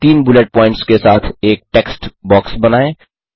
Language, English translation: Hindi, Create a text box with three bullet points